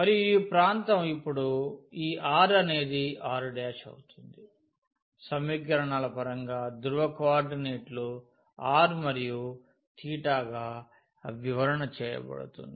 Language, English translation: Telugu, And this region now this r will be r prime will be described in terms of the polar coordinates r and theta